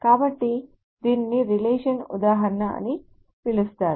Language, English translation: Telugu, So this is called a relation instance